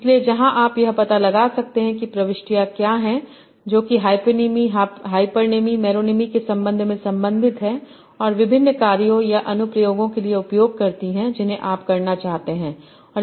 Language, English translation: Hindi, So where you can find out what entities are related by the relation of hyponym, hyponym, and meronym and use for different tasks or application that you want to build